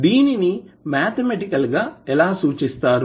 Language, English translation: Telugu, So, how you will represent mathematically